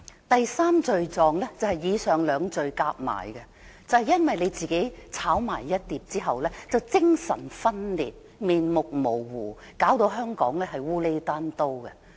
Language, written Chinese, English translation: Cantonese, 第三罪狀就是以上兩罪加起來，就是因為她自己"炒埋一碟"後精神分裂，面目模糊，弄得香港"烏厘單刀"。, Her third sin is the summation of her first two sins . The combined effect of her first two sins has plunged her into personality split and made her stances altogether wavering . Hong Kong is turned into a mess as a result